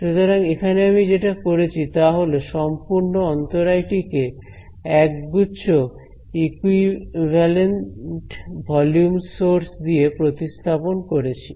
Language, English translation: Bengali, So, what I have done is I have replaced this entire obstacle by a set of equivalent volume sources right